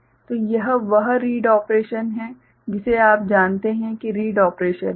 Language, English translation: Hindi, So, that is read operation that you know is read operation